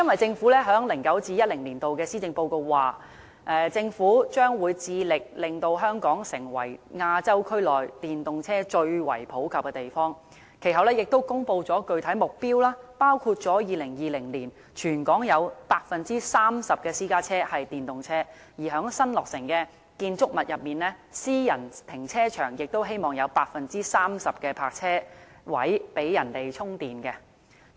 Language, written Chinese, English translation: Cantonese, 政府在 2009-2010 年度的施政報告曾指出，政府將致力令香港成為亞洲區內電動車最為普及的地方，其後亦公布具體目標，包括在2020年，全港有 30% 的私家車是電動車，並且希望在新落成的建築物中，私人停車場有 30% 的泊車位設置充電裝置。, The Government said in its 2009 - 2010 Policy Address that it would strive to make Hong Kong one of the cities in Asia where EVs are most widely used . It later announced some specific objectives including turning 30 % of the private cars in Hong Kong into EVs by 2020 and installing charging facilities in 30 % of the private car parking spaces in new buildings